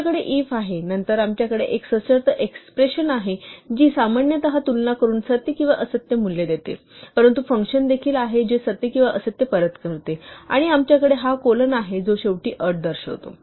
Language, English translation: Marathi, We have 'if', then we have a conditional expression which returns a value true or false typically a comparison, but it could also be invoking a function which returns true or false for example, and we have this colon which indicates the end of the condition